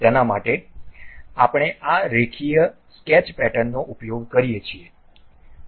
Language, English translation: Gujarati, For that we use this Linear Sketch Pattern